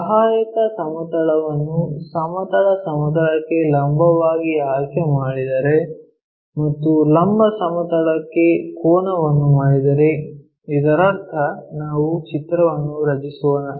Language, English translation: Kannada, If the auxiliary plane is selected perpendicular to horizontal plane and inclined to vertical plane that means, let us draw a picture